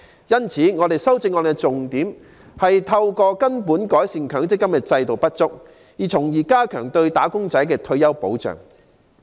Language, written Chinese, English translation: Cantonese, 因此，我的修正案的重點，是透過根本改善強積金制度的不足，從而加強對"打工仔"的退休保障。, In the light of this the thrust of my amendment is to radically improve the MPF System by getting at the root of its inadequacies thereby strengthening retirement protection for the wage earners